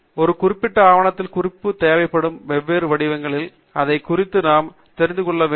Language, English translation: Tamil, So, we must be aware of what are the different styles in which the references are required for a particular document